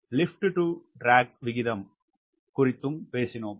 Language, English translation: Tamil, we have also talked about lift to drag ratio